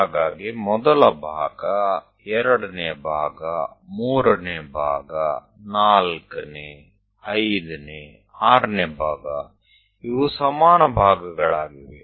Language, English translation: Kannada, So, first part, second part, third part, fourth, fifth, sixth these are equal parts